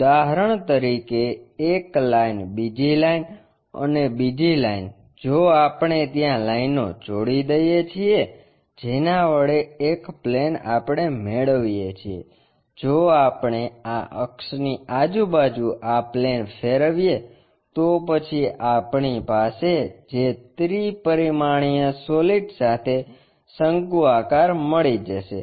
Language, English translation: Gujarati, For example, a line another line, and another line, if we join that whatever the plane we get that plane if we are revolving around this axis, then we will end up with a cone a three dimensional solids of revolution we will having